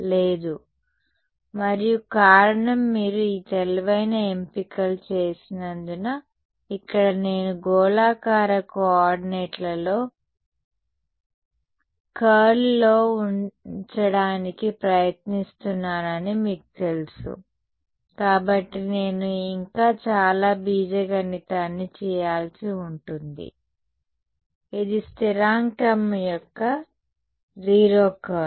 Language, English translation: Telugu, No, right and the reason is because you made these intelligent choices, here I did not go about you know trying to put in the curl in the spherical co ordinates right I would have I have to do lot more algebra this is 0 curl of a constant